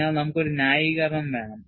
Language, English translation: Malayalam, So, we want to have a justification